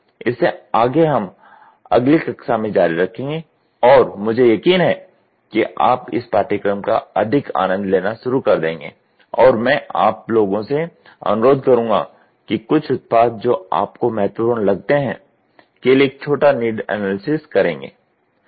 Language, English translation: Hindi, We will continue in the next class and I am sure you will start enjoying this course more and I would request you guys to do as small need analysis for some product which you feel it is important ok